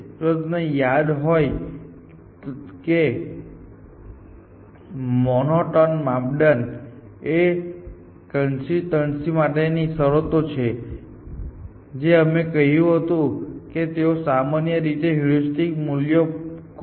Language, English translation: Gujarati, So, let us say it generates this and if you remember the monotone criteria are consistency conditions that we said, that they in generally you expect the heuristic values to become more accurate